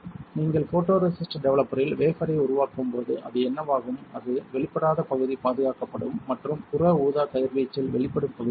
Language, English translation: Tamil, When you develop the wafer in photoresist developer what will happen that, the area which was not exposed would be protected and the area which was exposed in UV will get developed